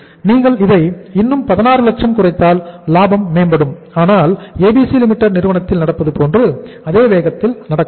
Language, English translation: Tamil, And if you reduce it by 16 more lakhs profitability is going to improve but not at the same pace as it is going to happen in the firm ABC Limited